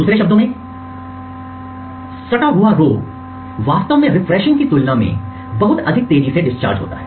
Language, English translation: Hindi, In other words the adjacent rows would actually discharge much more faster than the refresh period